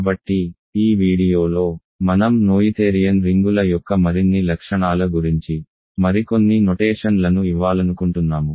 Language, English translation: Telugu, So, in this video, I want to give some more notions more properties of noetherian rings